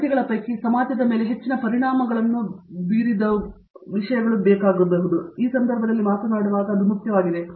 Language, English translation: Kannada, Among the numbers, which are the ones which have made more impact on the society of course, itÕs also important when we talk about in this context